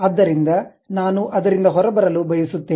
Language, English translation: Kannada, So, I would like to just go out of that